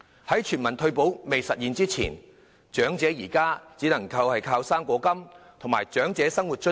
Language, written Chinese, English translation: Cantonese, 在全民退保未落實前，長者現時只能依靠"生果金"和長者生活津貼。, Before any universal retirement protection is implemented elderly people can only depend on the fruit grant and the Old Age Living Allowance OALA